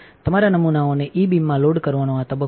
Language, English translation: Gujarati, This is the phase of loading your samples into the E beam